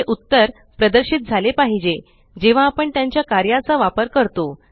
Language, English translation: Marathi, These are the results which should be displayed when we use their functions